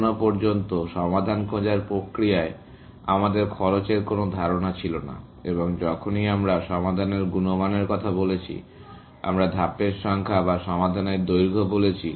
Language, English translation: Bengali, So far, we have not had a notion of cost, in the solution finding process and whenever, we spoke about quality of a solution, we said the number of steps or the length of the solution